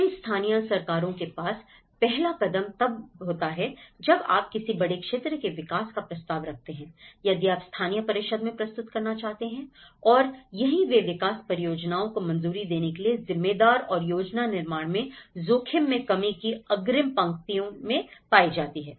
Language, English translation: Hindi, These local governments they have the first step when you propose something a large area development if you want to submit to the local council and that is where they are in the front line of the risk reduction in planning and building responsible for approving the development projects